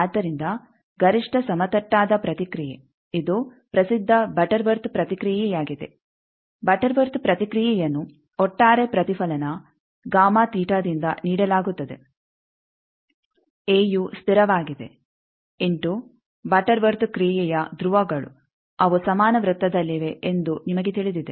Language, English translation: Kannada, So, maximally flat response, this is the well known is the butterworth response, quarter worth response is given like this that the overall reflection gamma theta is a is a constant into you know that rules of the quarter worth function they are on a equal cycle